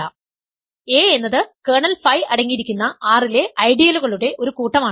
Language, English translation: Malayalam, A is a set of ideals in R that contain kernel phi